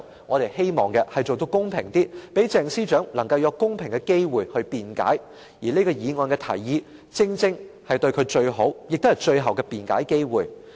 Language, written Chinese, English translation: Cantonese, 我們希望做到公平些，讓鄭司長能夠有公平的機會去辯解，而這項議案的提議正是給予她最好、最後的辯解機會。, We hope to be fair by allowing Ms CHENG a fair opportunity to explain and the proposal in this motion exactly serves as the best and last opportunity for her to explain